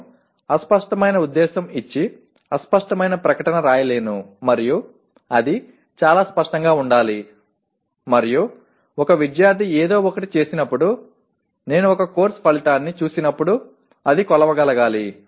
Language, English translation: Telugu, I cannot write a vague statement giving a vague intent and it has to be very clear and when a student performs something I should be, when I look at a course outcome it should be measurable, okay